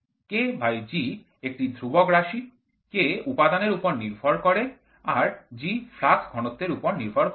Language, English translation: Bengali, K by G is a constant parameter K is depends on material G is independent of flux density